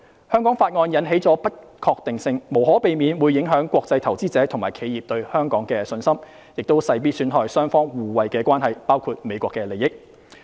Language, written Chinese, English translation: Cantonese, 《香港法案》引起的不確定性無可避免會影響國際投資者及企業對香港的信心，亦勢必損害雙方互惠的關係，包括美國的利益。, The uncertainty caused by the Hong Kong Act will inevitably affect the confidence of international investors and enterprises in Hong Kong and will certainly damage the mutually beneficial relations between the two places including the United States interests